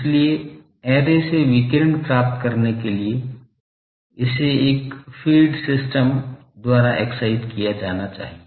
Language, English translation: Hindi, So, in order to obtain radiation from the array, it must be excited by a fed system